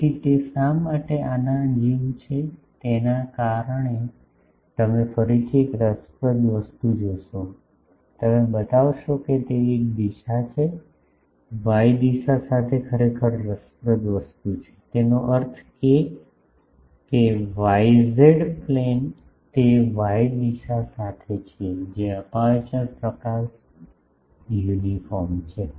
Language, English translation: Gujarati, So, due to actually why it is like this seen you see an interesting thing again you show that it is an interesting thing actually along y direction; that means, yz plane they are the along y direction the aperture illumination is uniform